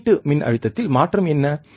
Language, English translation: Tamil, What is the change in the output voltage, right